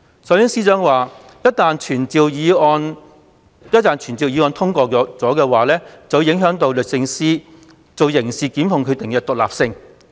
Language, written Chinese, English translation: Cantonese, 首先，司長說傳召議案一旦獲得通過，便會影響律政司作刑事檢控決定的獨立性。, First the Secretary for Justice argued that the passage of this summoning motion would adversely affect DoJs independence in making prosecutorial decisions on criminal cases